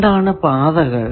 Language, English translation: Malayalam, What are the paths